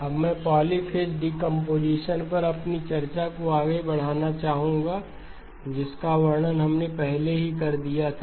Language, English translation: Hindi, Now I would like to move on to our discussion on the polyphase decomposition, which we had already described